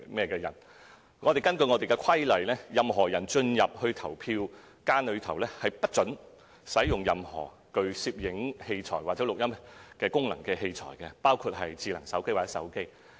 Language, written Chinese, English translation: Cantonese, 根據規例，任何人進入投票間後，不准使用任何具攝影或錄音功能的器材，包括智能手機或手機。, Under the law devices with video or audio recording functions including smart phones or mobile phones must not be used in voting booths